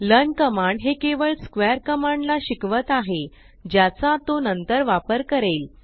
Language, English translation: Marathi, The command learn is just learning other command square to be used later